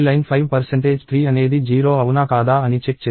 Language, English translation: Telugu, So, this line is checking if 5 percentage 3 is 0 or not